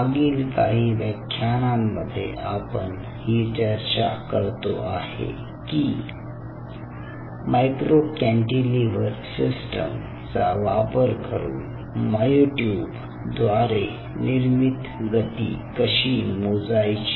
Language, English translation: Marathi, so for last classes we have been talking about how we can measure using a micro cantilever system, how we can measure the force generated by the myotubes